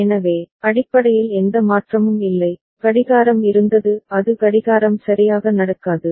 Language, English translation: Tamil, So, basically there is no change, clock was that is no clocking happening right